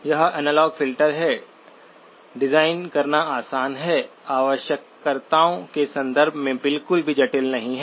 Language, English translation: Hindi, So this is the analog filter, easy to design, not complex at all in terms of the requirements